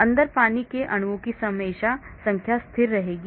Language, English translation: Hindi, So the number of water molecules inside will be always constant